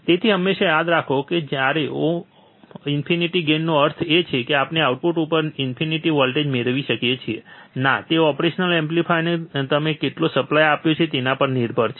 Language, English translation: Gujarati, So, this always remember do not get confuse that oh infinite gain means that we can have infinite voltage at the output, no, it depends on how much supply you have given to the operational amplifier, alright